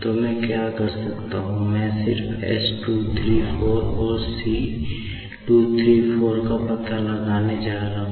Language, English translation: Hindi, So, what I can do is I am just going to find out s 234 and c 234